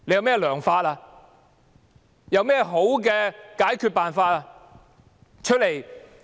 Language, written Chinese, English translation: Cantonese, 政府有何好的解決方法？, Does the Government have any effective solution?